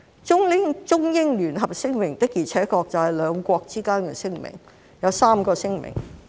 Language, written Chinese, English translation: Cantonese, 《中英聯合聲明》的確是兩國之間的聲明，當中包含3個聲明。, The Sino - British Joint Declaration is indeed a declaration of the two countries and it contains three declarations